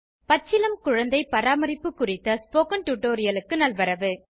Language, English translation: Tamil, Welcome to the Spoken Tutorial on Neonatal Childcare